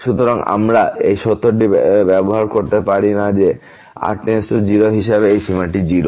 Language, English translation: Bengali, So, we cannot use that fact that this limit as goes to 0 is 0